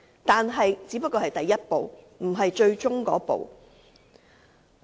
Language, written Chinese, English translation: Cantonese, 但是，這只是第一步，而不是最終的一步。, However this is only the first step but not the last